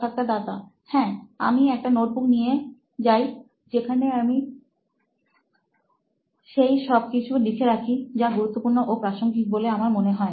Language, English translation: Bengali, Yes, I do carry a notebook which is where I write my stuff which is important and relevant to me